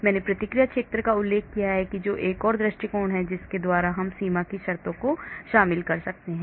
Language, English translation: Hindi, I also mentioned reaction zone that is another approach by which we can incorporate boundary conditions